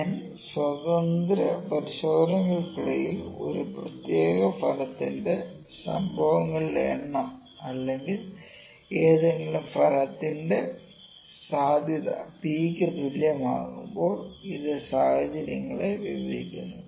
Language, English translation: Malayalam, Now, this describe the situations when the number of occurrence is and of a particular outcome during N independent tests with the probability of any outcome P is same